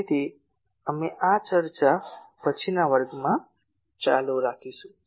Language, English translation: Gujarati, So, we will continue this discussion in the next class